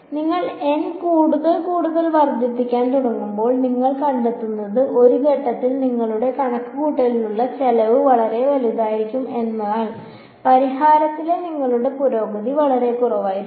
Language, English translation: Malayalam, What you will find is as you begin increasing N more and more and more at some point your cost of computation becomes very large , but your improvement in solution becomes very less